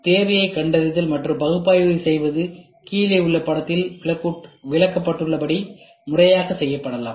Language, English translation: Tamil, Finding and analysing need can be performed systematically as illustrated in the figure below